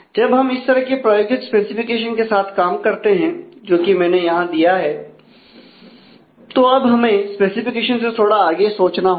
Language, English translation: Hindi, When we deal with a practical specification like somewhat like, the one that I have given here is that we would need to look little beyond the specification